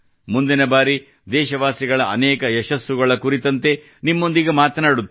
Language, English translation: Kannada, Next time we will talk to you again about the many successes of our countrymen